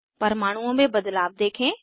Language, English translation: Hindi, Observe the change in the atoms